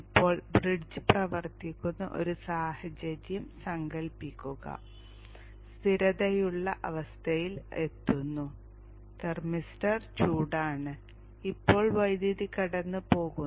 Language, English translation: Malayalam, Now imagine a situation where the bridge is working, it's reached a stable state, the thermister is hot, and now the power goes suddenly